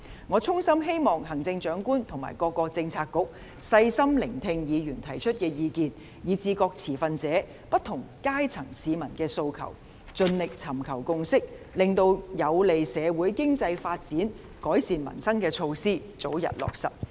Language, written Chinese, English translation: Cantonese, 我衷心希望行政長官及各政策局細心聆聽議員提出的意見，以及各持份者和不同階層市民的訴求，盡力尋求共識，令有利社會經濟發展和改善民生的措施得以早日落實。, I sincerely hope that the Chief Executive and the Policy Bureaux will listen carefully to the views raised by Members as well as the aspirations voiced by various stakeholders and different sectors of the community . We will endeavour to seek a consensus so that the measures which are conducive to social and economic development and improvement of peoples livelihood can be implemented early